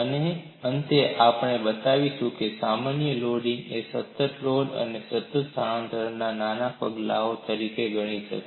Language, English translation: Gujarati, And finally, we would also show a general loading can be thought of as smaller steps of constant load and constant displacement